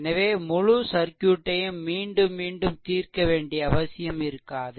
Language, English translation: Tamil, So, no need to solve the whole circuit again and again